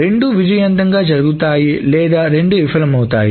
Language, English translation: Telugu, Either both have succeeded or both have failed